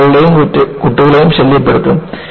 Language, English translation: Malayalam, Women and children will be annoyed